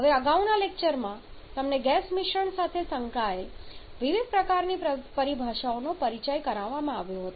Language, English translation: Gujarati, Now, in the previously you have been introduced to different kinds of terminologies associated with the gaseous mixture